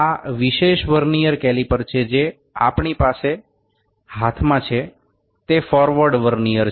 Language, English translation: Gujarati, This specific Vernier caliper that we have in hand is the forward Vernier